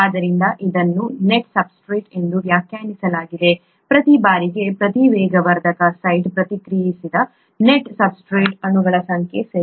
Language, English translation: Kannada, So it is defined as the net substrate, the number of net substrate molecules reacted per catalyst site per time, okay